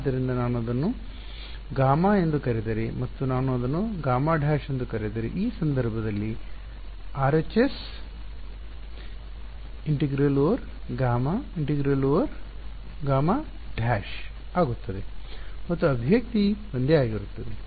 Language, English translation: Kannada, So, if I call this gamma and I call this gamma dash, in that case the RHS will become an integral over gamma minus an integral over gamma dash and the expression remains the same ok